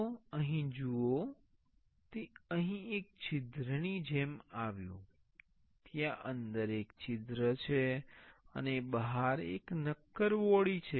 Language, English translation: Gujarati, So, here see it came as a hole here in the inside there is a hole, and the outside there is a solid body